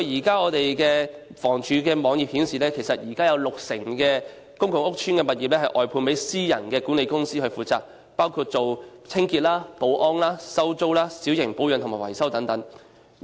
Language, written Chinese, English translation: Cantonese, 根據房署的網頁，現時有六成公共屋邨的物業外判私人管理公司負責，包括清潔、保安、收租、小型保養和維修等。, According to the website of HD currently the management of 60 % of the public housing estates has been outsourced to private property service agents which perform management duties including cleaning security rent collection minor maintenance and repairs and so on